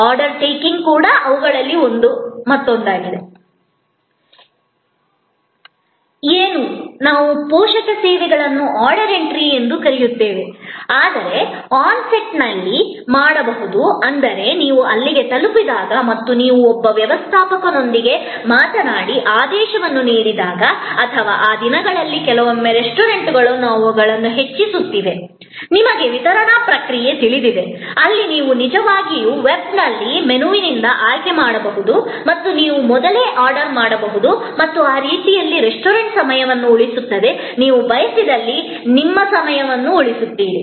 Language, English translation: Kannada, What, we call a supporting services is order entry, which can be done on site, that means, when you reach there and you talk to a steward and place an order or these days sometimes restaurants are actually enhancing their, you know delivery process, where you can actually select from a menu on the web and you can pre order and that way, the restaurant saves time, you save time, if it is so desired